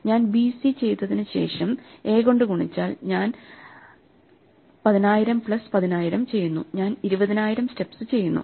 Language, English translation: Malayalam, If I do A, after I do BC and I do 10000 plus 10000, so I do 20000 steps